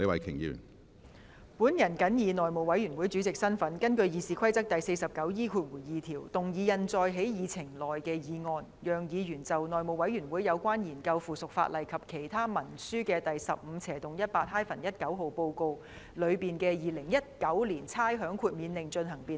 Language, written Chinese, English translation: Cantonese, 主席，我謹以內務委員會主席的身份，根據《議事規則》第 49E2 條，動議印載在議程內的議案，讓議員就《內務委員會有關研究附屬法例及其他文書的第 15/18-19 號報告》內的《2019年差餉令》進行辯論。, President in my capacity as Chairman of the House Committee I move the motion as printed on the Agenda in accordance with Rule 49E2 of the Rules of Procedure to enable Members to debate the Rating Exemption Order 2019 included in Report No . 1518 - 19 of the House Committee on Consideration of Subsidiary Legislation and Other Instruments